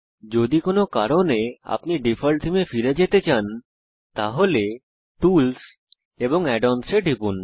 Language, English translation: Bengali, If, for some reason, you wish to go back to the default theme, then, just click on Tools and Add ons